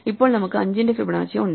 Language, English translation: Malayalam, Now, we want to do Fibonacci of 3